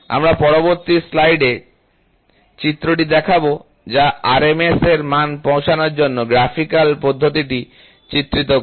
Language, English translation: Bengali, The figure which we will show in the next slide, illustrates the graphical procedure for arriving at the RMS value